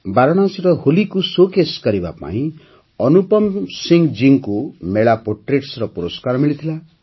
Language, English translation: Odia, Anupam Singh ji received the Mela Portraits Award for showcasing Holi at Varanasi